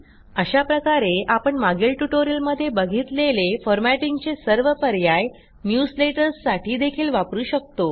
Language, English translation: Marathi, Hence,we see that all the formatting options discussed in the previous tutorials can be applied in newsletters, too